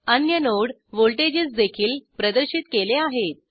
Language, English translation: Marathi, Other node voltages are also displayed